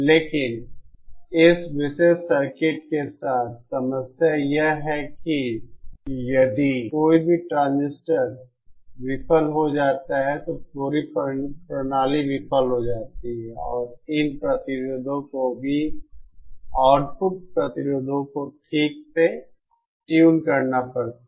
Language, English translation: Hindi, so but the problem with this particular circuit is that, if any of the transistors fail, then the whole system fails and also these resistances, the output resistances have to be fine tuned